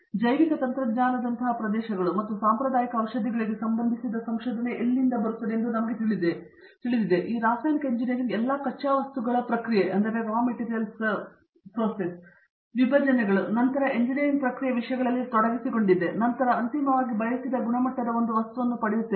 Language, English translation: Kannada, But we have also the areas like biotechnology and even wellness where itÕs letÕs say research related to the traditional medicines, so in all of these chemical engineering is involved in terms of raw material processing, separations and then the process engineering and then finally getting a material of a desired quality